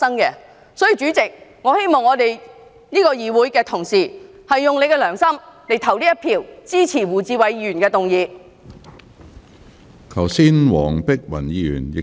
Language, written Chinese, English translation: Cantonese, 因此，我希望議會的同事用良心投下一票，支持胡志偉議員的議案。, Therefore I hope that colleagues in this Council will vote with conscience in support of Mr WU Chi - wais motion